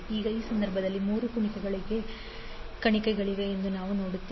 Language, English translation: Kannada, Now, in this case, we see there are three loops